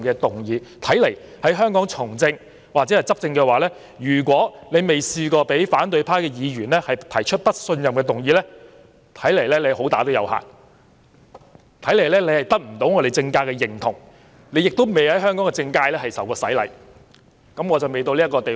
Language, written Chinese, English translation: Cantonese, 由是觀之，在香港從政或執政，如果有人從未遭反對派議員提出"不信任"議案，此人恐怕"好打有限"，不獲政界認同，亦未受過香港政界洗禮——我尚未到這個地位。, It can thus be seen that except for those being not up to snuff enjoying little recognition in the political sector and remaining untried in the rigours of Hong Kong politics anyone in the business of politics or ruling in Hong Kong would invariably find himself or herself the target of no - confidence motions moved by Members of the opposition―a league that I has yet reached